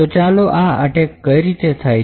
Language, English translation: Gujarati, So, let us see how this attack proceeds